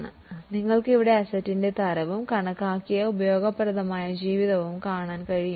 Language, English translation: Malayalam, Now you can see here type of the asset and estimated useful life